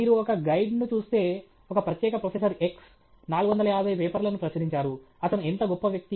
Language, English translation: Telugu, If you look at a guide, some particular X professor, 450 papers, what a great person he is